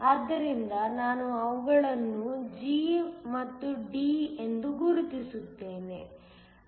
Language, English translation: Kannada, So, let me just mark them as G and D